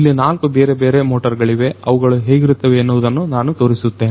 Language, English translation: Kannada, So, you know so, there are four different motors let me show you how this motor looks like